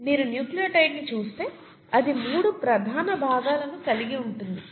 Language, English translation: Telugu, If you look at a nucleotide, it consists of three major parts